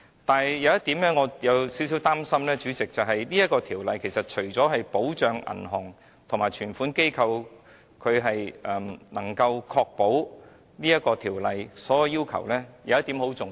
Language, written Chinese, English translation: Cantonese, 但是，主席，我有少許擔心的一點是，《條例草案》除了確保銀行及接受存款機構能夠符合條例的所有要求外，有一點是很重要的。, But President I am a bit worried about one point and that is insofar as the Bill is concerned apart from ensuring compliance by banks and deposit - taking companies with all the requirements in the Bill there is a point which is very important